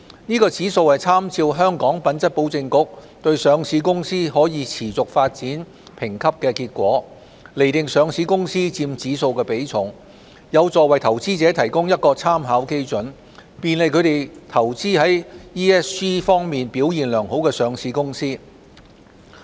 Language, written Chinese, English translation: Cantonese, 該指數參照香港品質保證局對上市公司可持續發展評級的結果，釐定上市公司佔指數的比重，有助為投資者提供一個參考基準，便利他們投資於 ESG 方面表現良好的上市公司。, The HSI ESG Index makes reference to the results of the Hong Kong Quality Assurance Agencys HKQAA sustainability rating of listed companies to determine their index weighting . It helps provide investors with a benchmark and facilitates them to invest in listed companies with good ESG performance